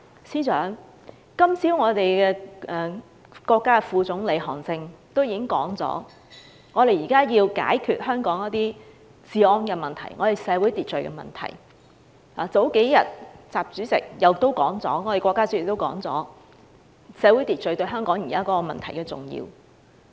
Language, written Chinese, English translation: Cantonese, 司長，今早國家副總理韓正已表示，我們現在要解決香港的治安及社會秩序問題；而數天前，國家主席亦表示，社會秩序對香港現時的問題很重要。, Chief Secretary this morning Vice - premier of the State Council HAN Zheng called for the restoration of law and order in Hong Kong society . A few days ago State President also highlighted the importance of social order to the current problems in Hong Kong